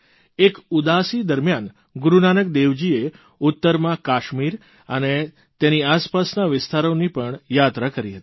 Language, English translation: Gujarati, During one Udaasi, Gurunanak Dev Ji travelled north to Kashmir and neighboring areas